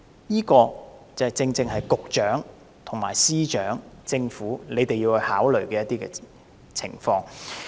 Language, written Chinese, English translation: Cantonese, 這個正正是局長、司長和政府要考慮的情況。, This is exactly what the Secretary the Financial Secretary and the Government have to contemplate